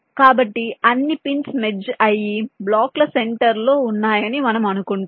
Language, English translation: Telugu, so we assume that all the pins are merged and residing at the centers of the blocks